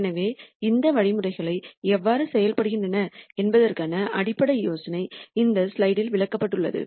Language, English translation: Tamil, So, the basic idea of how these algorithms work is explained in this slide